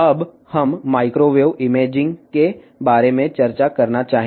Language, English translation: Telugu, Now, we would like to discuss about the microwave imaging